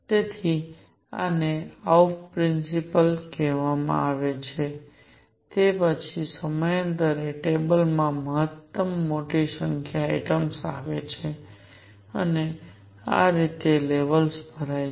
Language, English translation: Gujarati, So, this is known as the Afbau principle, it is followed by maximum a large number of atoms in the periodic table, and this is how the levels are filled